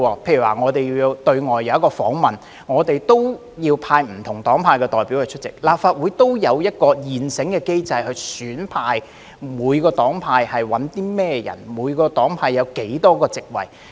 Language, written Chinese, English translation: Cantonese, 例如我們要到外地進行訪問，需要派不同黨派的代表參與，立法會便有一個現成的機制，決定每個黨派選派甚麼人、有多少個席位。, For instance when we need to send representatives from different parties and camps to participate in an overseas visit the Legislative Council has an established mechanism in place to decide who will be selected from each party and camp as well as the number of places allocated to them